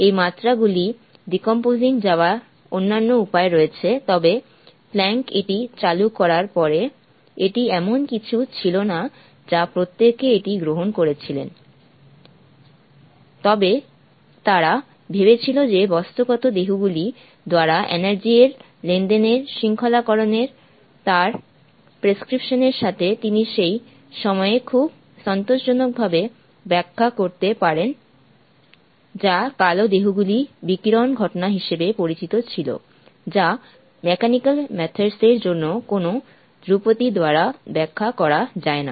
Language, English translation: Bengali, There are other ways of decomposing these dimensions, but after Planck introduced this: I mean; it wasn't something that everybody accept it as is, but they thought that with his prescription of the discretization of the transaction of energy by the material bodies; he could explain at that point of time very satisfactorily what was known as the blackbody radiation phenomenon which could not be explained by any classical mechanical methods